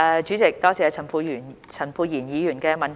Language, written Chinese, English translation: Cantonese, 主席，多謝陳沛然議員的補充質詢。, President I thank Dr Pierre CHAN for his supplementary question